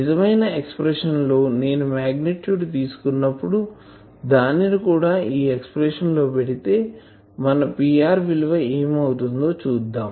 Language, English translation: Telugu, In actual expression , so when I am taking magnitude , so I can put it there also we have seen what was our P r